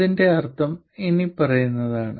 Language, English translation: Malayalam, What it means is the following